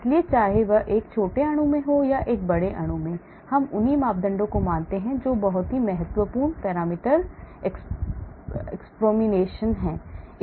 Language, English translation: Hindi, so whether it is in a small molecule or in a large molecule we assume the same parameters that is very important parameter approximation